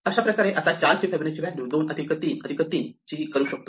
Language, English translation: Marathi, Now, we can compute Fibonacci of 4 is 2 plus 1 3